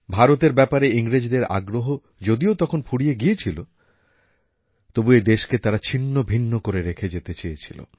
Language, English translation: Bengali, The English had lost interest in India; they wanted to leave India fragmented into pieces